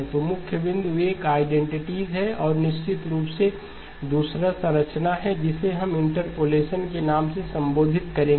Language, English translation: Hindi, So the key point that, is one of the identities and of course the second one addresses the structure that we will have for interpolation